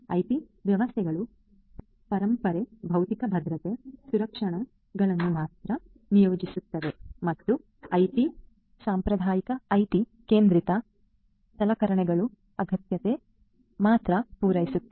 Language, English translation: Kannada, OT systems only deploy legacy physical security protections and IT ones will only cater to the requirements of the traditional IT centric equipments